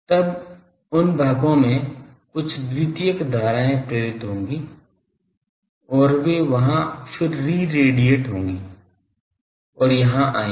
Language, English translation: Hindi, Then that there will be some secondary currents induced, in those bodies and that will again reradiate and that will come here